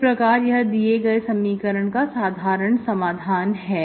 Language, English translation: Hindi, This is your general solution of the given equation